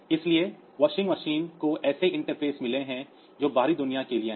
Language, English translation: Hindi, So, washing machine has got the interfaces which are to the outside world